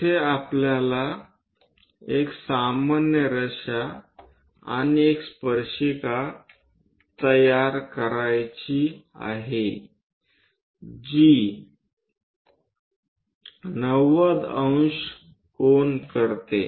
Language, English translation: Marathi, There we would like to have a normal line and a tangent line which makes 90 degrees